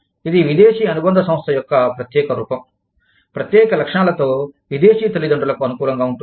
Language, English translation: Telugu, It is a special form of foreign subsidiary, with special characteristics, favorable to foreign parents